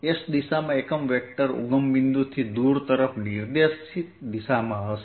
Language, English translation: Gujarati, the unit vector in the s direction is going to be in the direction pointing away from the origin